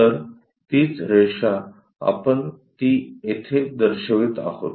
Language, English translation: Marathi, So, the same line, we are showing it here